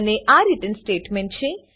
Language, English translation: Gujarati, And this is the return statement